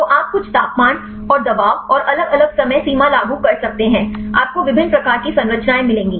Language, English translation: Hindi, So, you can apply some temperature and pressure and the different time frame; you will get different types of structures